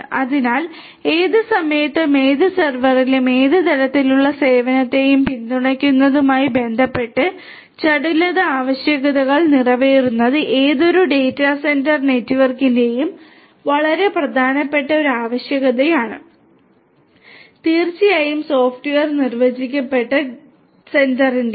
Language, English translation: Malayalam, So, catering to agility requirements with respect to supporting any kind of service on any server at any time is a very important requirement of any data centre network and definitely for software defined data centre